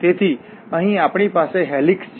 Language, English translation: Gujarati, So, here we have a helix